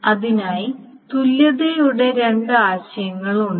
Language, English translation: Malayalam, So for that, there are two notions of equivalence